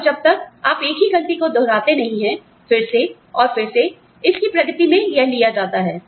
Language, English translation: Hindi, And, unless, you repeat the same mistake, again, and again, and again, it is taken, in its stride